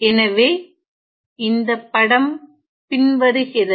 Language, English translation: Tamil, So, the figure is as follows